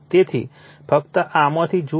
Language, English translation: Gujarati, So, just go through this right